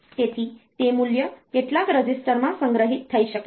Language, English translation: Gujarati, So, that value may be stored in some register